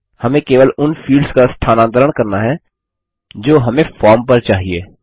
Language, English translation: Hindi, We will need to move only those fields which we need on the form